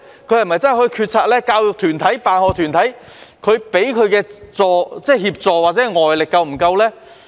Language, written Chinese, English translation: Cantonese, 教育團體或辦學團體給予校長的協助或外力是否足夠呢？, Have the educational groups or school sponsoring bodies given the principal sufficient assistance or external support?